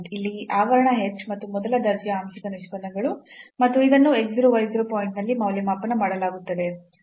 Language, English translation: Kannada, So, this parenthesis here h and the partial derivatives the first order partial derivatives and this evaluated at x 0 y 0 point